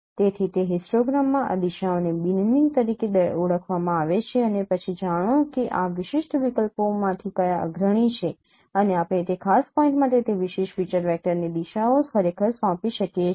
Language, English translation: Gujarati, So that is what is known as binging of this now directions in a histogram and then find out now which is the prominent one out of these discrete options and we can assign that directions to that particular feature vector to that key point actually